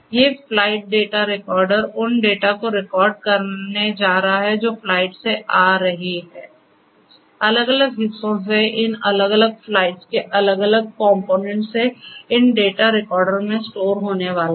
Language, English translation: Hindi, These flight data recorders they are going to record the data that are coming from the flight, from the different parts, different components of each of these different flights and are going to be stored in these data recorders